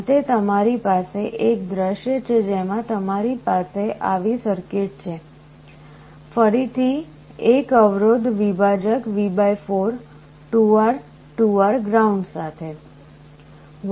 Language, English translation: Gujarati, At the end you have a scenario where you have a circuit like this; again a resistance divider V / 4, 2R, 2R to ground